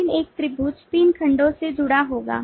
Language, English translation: Hindi, so the triangle has sides or line segments